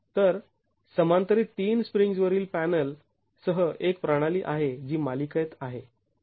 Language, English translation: Marathi, So, the panel above with the three springs in parallel is a system which is in series